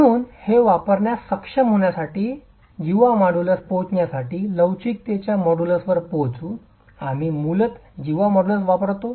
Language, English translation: Marathi, So, to be able to use this and arrive at the chord modulus, arrive at the modulus of elasticity, we basically make use of the cord modulus